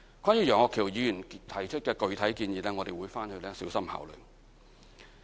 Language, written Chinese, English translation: Cantonese, 關於楊岳橋議員提出的具體建議，我們會小心考慮。, We will also consider carefully the specific suggestion put forth by Mr Alvin YEUNG